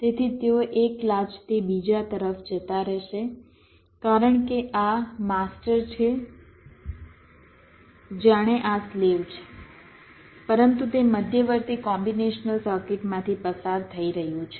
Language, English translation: Gujarati, so they will be moving from one latch to another as if this is master, as if this is slave, but it is going through the intermediate combinational circuit